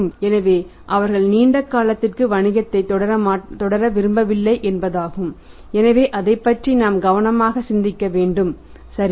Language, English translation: Tamil, So, it means they do not want to carry on the business for the longer duration so we should be carefully thinking about it right